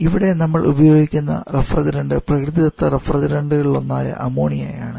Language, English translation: Malayalam, Synthetic refrigerants, where is here we are using natural refrigerant in the form of ammonia, or water vapour